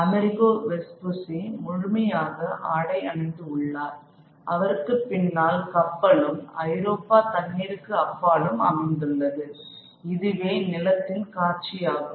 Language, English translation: Tamil, Of course, Amerigo Vespucci is fully clothed and there behind lies the ship and the water sort of beyond the horizon lies Europe and this is an image of the new land